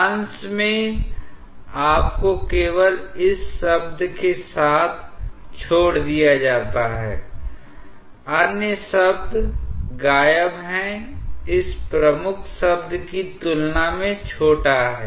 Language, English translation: Hindi, In the numerator, you are left with only this term; other terms are vanishing is small in comparison to this dominant term